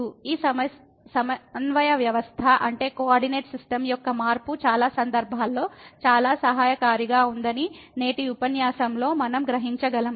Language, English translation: Telugu, But what we will realize in today’s lecture that this change of coordinate system in many cases is very helpful